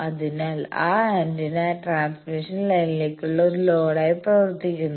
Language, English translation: Malayalam, So, that antenna behaves as a load to the transmission line